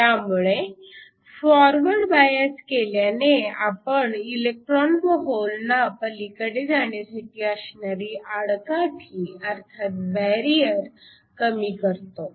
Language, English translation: Marathi, So, when you forward bias we lower the barriers for the electrons and holes to go across